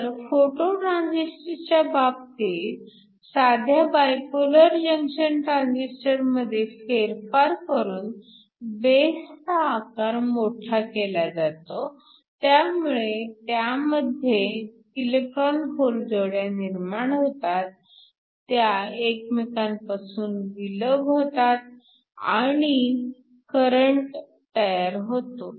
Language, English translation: Marathi, So, in this particular case you modify your simple by Bipolar Junction Transistor to have a larger base, so that electron hole pairs are generated within that and this in turn get separated and forms your current